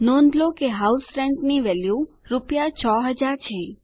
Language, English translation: Gujarati, Note, that the cost of House Rent is rupees 6,000